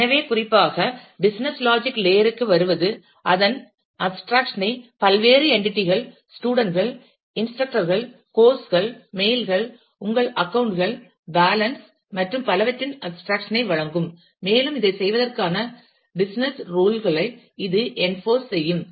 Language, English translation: Tamil, So, coming to the business logic layer specifically, that provides abstraction of that will provide abstraction of various entities, students, instructors, courses, mails, your accounts, balance and so on, and that will enforce business tools for carrying out this